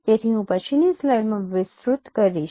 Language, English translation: Gujarati, So I will elaborate in subsequent slides